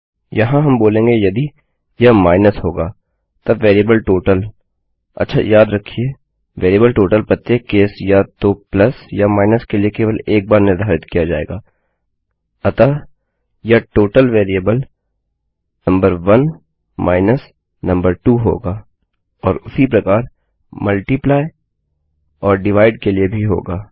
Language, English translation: Hindi, Here we will say if its a minus, then the variable total okay remember, the variable total will only be set once for each case either plus or minus so this total variable going to be number 1 number 2 and the same for multiply and divide as well